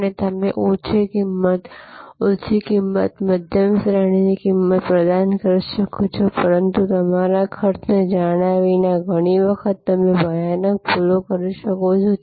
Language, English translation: Gujarati, And you can provide low price, high price, mid range price, but without knowing your costs, many times you can make horrible mistakes